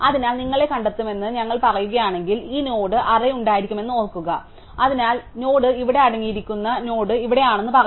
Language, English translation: Malayalam, So, supposing we say find of you, then remember that will have this node array and so node of u will say that the node containing u is here